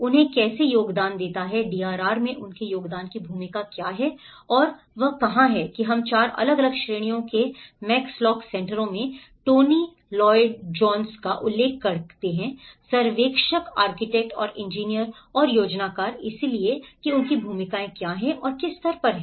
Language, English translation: Hindi, How they have to contribute, what is the role of their contribution in the DRR and that is where we refer to the Tony Lloyd Jones in Max lock Centres work of the 4 different categories of surveyor, architects and the engineer and the planner so how what are their roles and what stage